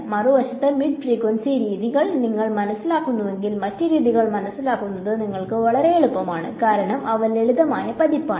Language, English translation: Malayalam, On the other hand, if you understand mid frequency methods, it is much easier for you to understand the other methods because they are simpler version right